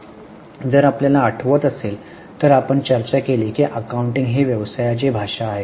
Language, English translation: Marathi, If you remember, we discuss that accounting is a language of business